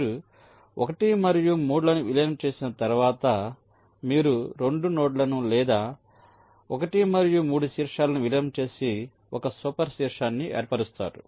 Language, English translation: Telugu, so once you merge one and three, lets say you merge the two nodes or vertices, one and three together to form a one super vertex